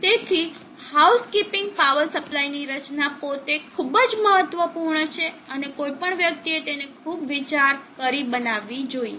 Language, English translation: Gujarati, So therefore, housekeeping power supply design itself is very very important and then one has to give lot of thought to it